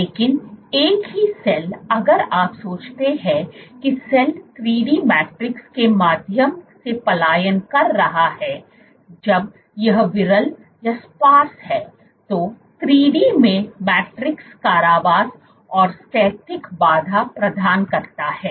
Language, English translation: Hindi, But the same cell if you think of a cell migrating through a 3 dimensional matrix when it is sparse; in 3D what matrix provides is confinement and steric hindrance